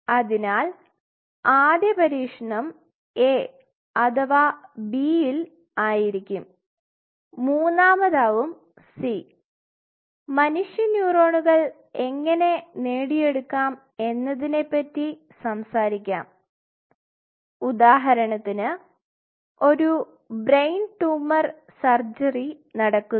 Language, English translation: Malayalam, So, your first cut will be A or B and of course, the third one will be c and we will talk about it how you can obtain the human neuron especially this can happen, if say for example, there is a brain tumor surgery which is going on